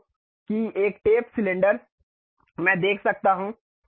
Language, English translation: Hindi, So, that a tapered cylinder I can see